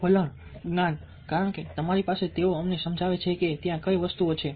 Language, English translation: Gujarati, attitudes, knowledge, because you, you have the make us know what things are there